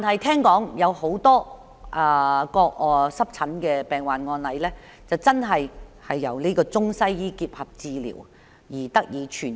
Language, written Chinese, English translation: Cantonese, 國內有多個濕疹病患案例，確實是由中西醫結合治療而得以痊癒。, In China many eczema cases actually got cured by integrating the treatments of Chinese and Western medicines